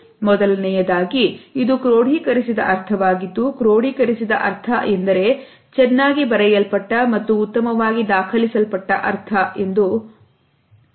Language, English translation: Kannada, The meaning may be constructed in two ways, firstly, it may be a codified meaning which has got a well written and well documented meaning